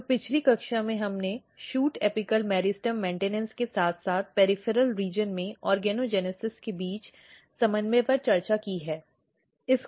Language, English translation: Hindi, So, in previous class we have discussed the coordination between shoot apical meristem maintenance as well as the organogenesis in the peripheral region